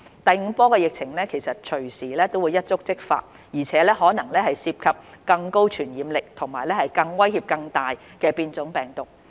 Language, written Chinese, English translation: Cantonese, 第五波疫情隨時一觸即發，而且可能涉及更高傳染力和威脅更大的變種病毒。, The fifth wave of the epidemic could strike at any time and could possibly involve mutant strains with higher transmissibility and bringing greater threats